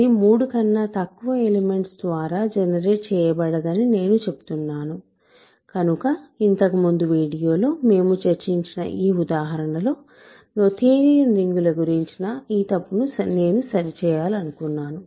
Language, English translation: Telugu, I am saying that it is not generated by less than three elements so that is just correction I wanted to make about noetherian rings in this example that we discussed in a previous video ok